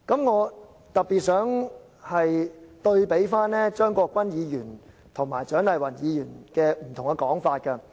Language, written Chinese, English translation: Cantonese, 我特別想對比張國鈞議員和蔣麗芸議員不同的說法。, I would like to compare in particular what Dr CHIANG Lai - Wan and Mr CHEUNG Kwok - kwan have said